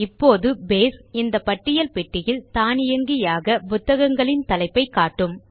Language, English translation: Tamil, Now Base will automatically display all the Book titles in this List box